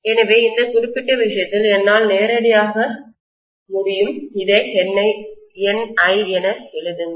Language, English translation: Tamil, So in this particular case, I can directly write this as N times I